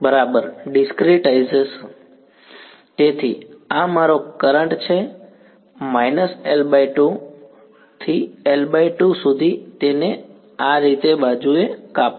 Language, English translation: Gujarati, Right discretize right, so this is my current from minus L by 2 to L by 2 chop it up like this right